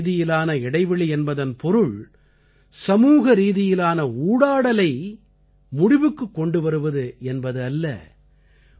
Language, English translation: Tamil, But we have to understand that social distancing does not mean ending social interaction